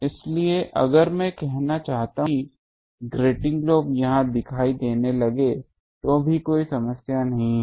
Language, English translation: Hindi, So, if I want to put that even if the grating lobe starts appearing here there is no problem